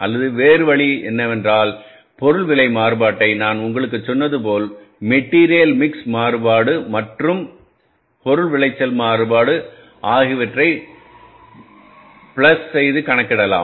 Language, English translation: Tamil, Or the other way could be that you calculate this material price variance as I told you plus material mix variance and material yield variance